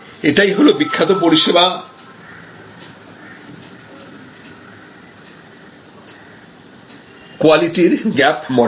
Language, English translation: Bengali, So, this is the famous service quality gap model